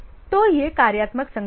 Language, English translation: Hindi, So, this is the functional organization